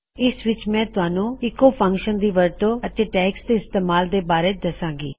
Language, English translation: Punjabi, Ill just go through how to use the echo function and how to set up your tags